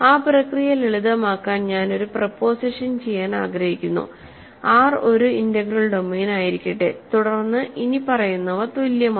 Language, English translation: Malayalam, So, I want to do a proposition to simplify that process, let R be an integral domain then the following are equivalent